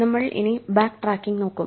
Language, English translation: Malayalam, We will be looking at Backtracking